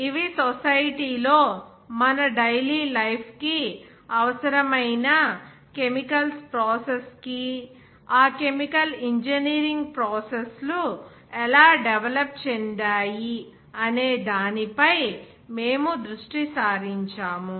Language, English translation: Telugu, And also how that chemical engineering processes developed for the production of essential chemicals in society, which is required for our daily life